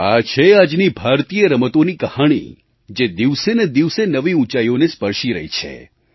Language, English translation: Gujarati, This is the real story of Indian Sports which are witnessing an upswing with each passing day